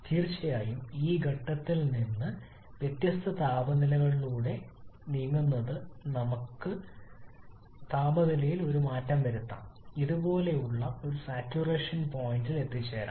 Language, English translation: Malayalam, Of course we can cause a change in temperature from this point onwards like moving through several different temperature levels and may reach at a saturation point like this